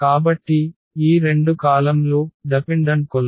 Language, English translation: Telugu, So, these two columns are dependent columns